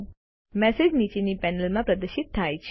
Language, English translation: Gujarati, The message is displayed in the panel below